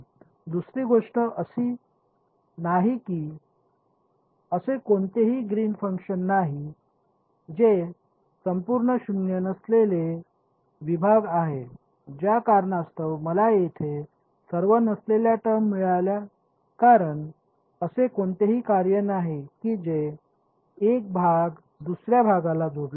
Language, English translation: Marathi, The second thing there is no Green’s function which is non zero overall segments that was it that was the reason why I got all non zero terms here there is no global kind of a function that is connecting 1 segment to another segment